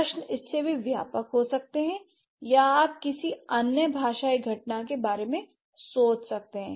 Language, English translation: Hindi, The questions could be even broader than that or you might think about some other linguistic phenomena